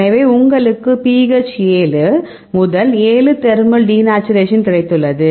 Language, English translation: Tamil, So, you have got the pH 7 to 7 thermal denaturation